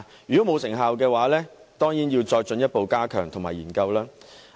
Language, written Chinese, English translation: Cantonese, 如果沒有成效的話，政府當然要進一步加強措施及進行研究。, If no effects are produced the Government should certainly further enhance its measures and carry out studies